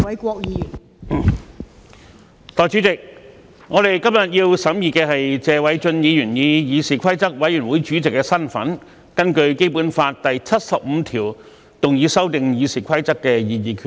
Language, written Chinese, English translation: Cantonese, 代理主席，我們今天要審議的，是謝偉俊議員以議事規則委員會主席的身份，根據《基本法》第七十五條動議修訂《議事規則》的擬議決議案。, Deputy President today we are examining the proposed resolution moved by Mr Paul TSE in his capacity as Chairman of the Committee on Rules of Procedure CRoP to amend the Rules of Procedure RoP in accordance with Article 75 of the Basic Law